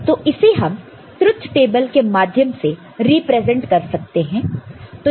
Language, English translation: Hindi, This can be represented through the truth table also